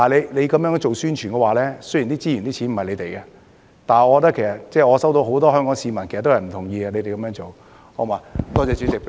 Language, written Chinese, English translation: Cantonese, 如果這樣做宣傳，雖然資源和金錢不是你們的，但我收到很多香港市民的意見，表示不同意你們這樣做。, That would be fine . As you do publicity in this way using resources and money that are not yours I have received many views from Hong Kong people that they do not agree with your approach